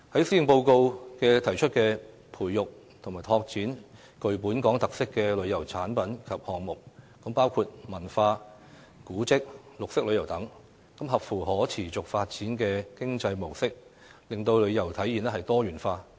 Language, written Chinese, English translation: Cantonese, 施政報告提出培育及拓展具本港特色的旅遊產品及項目，包括文化、古蹟、綠色旅遊等，配合可持續發展的經濟模式，令旅遊體驗多元化。, The Policy Address proposes developing and exploring tourism products and projects with Hong Kong characteristics including cultural tourism heritage tourism and green tourism with a view to offering diversified travel experiences under a sustainable economic model